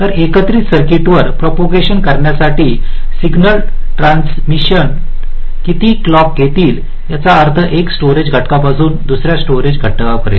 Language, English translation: Marathi, so how long signal transitions will take to propagate across the combinational circuit means from one storage element to the next